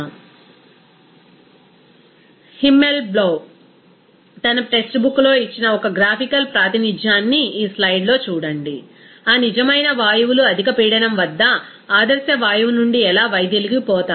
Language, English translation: Telugu, Here see in this slide one graphical representation as given by Himmelblau in his text book that how that real gases are deviated from the ideal gas at high pressure